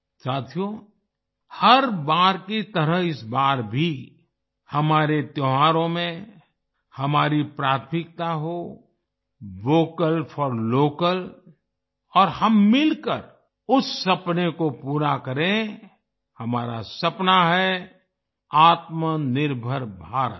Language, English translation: Hindi, Friends, like every time, this time too, in our festivals, our priority should be 'Vocal for Local' and let us together fulfill that dream; our dream is 'Aatmnirbhar Bharat'